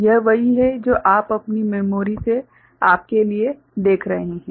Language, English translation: Hindi, This is what you are looking for in you from your memory right